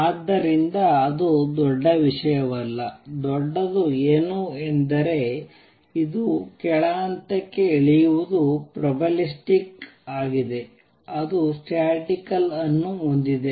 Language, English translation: Kannada, So, that is not a big thing, what is big is that this coming down to lower level is probabilistic it is statistical, it has a probability of coming down